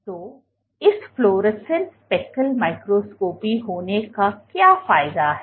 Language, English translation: Hindi, So, what is the advantage of having of this fluorescent speckle microscopy